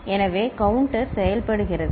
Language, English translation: Tamil, So, that is how the counter works